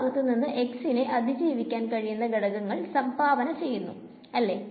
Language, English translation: Malayalam, From this side, the contribution again which components survives x is what survives that is right